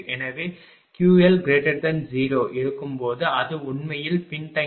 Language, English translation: Tamil, So, when Q L greater than 0 it is actually lagging load right